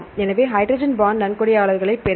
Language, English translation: Tamil, So, get hydrogen bond donors